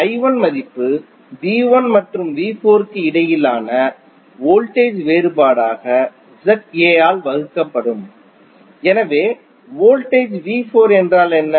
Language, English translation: Tamil, I 1 value would be the voltage difference between V 1 and V 4 divided by Z A, so what is the voltage of V 4